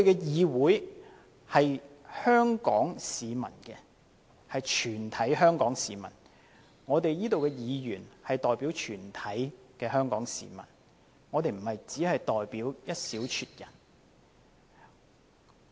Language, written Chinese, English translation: Cantonese, 議會是屬於全體香港市民的，這裏的議員代表全體香港市民，不止代表一小撮人。, The Council belongs to all Hong Kong people; Members here represent the totality of Hong Kong people not just a handful